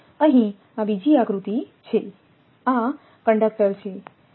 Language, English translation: Gujarati, Here this is another diagram; this is the conductor